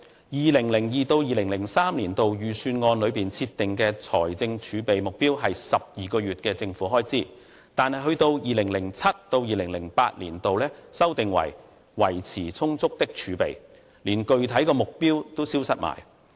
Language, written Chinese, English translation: Cantonese, 2002-2003 年度預算案內設定的財政儲備目標為12個月政府開支。但是 ，2007-2008 年度修訂為"維持充足的儲備"，連具體目標都消失了。, In the Budget for 2002 - 2003 it stated that the Government set the fiscal reserves target at 12 months of government expenditure; but in the Budget for 2007 - 2008 the Government revised its position by saying that it would maintain the reserves at an appropriate level and did not even bother to lay down a specific target